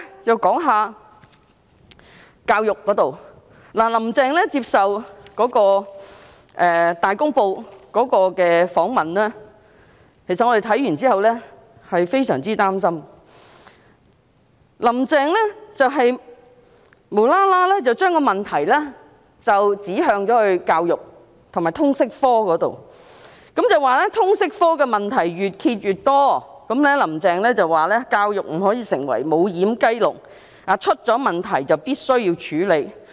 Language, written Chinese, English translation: Cantonese, 我們看到"林鄭"接受《大公報》訪問後，感到非常擔心，"林鄭"無緣無故把問題指向教育和通識科，說通識科的問題越揭越多，教育不可以成為"無掩雞籠"，出現了問題便必須處理。, We feel very worried after reading Carrie LAMs interview with Ta Kung Pao . Carrie LAM laid the blame on education and Liberal Studies LS without rhyme or reason saying that more and more problems of LS have been exposed . Education cannot become a doorless chicken coop